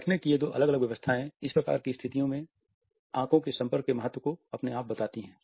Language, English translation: Hindi, These two different seating arrangements automatically convey the significance of eye contact in these type of situations